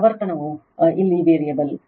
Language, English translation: Kannada, Frequency is variable here